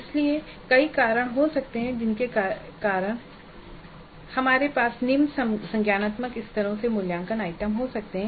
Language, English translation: Hindi, So there could be a variety of reasons because of which we may have assessment items from lower cognitive levels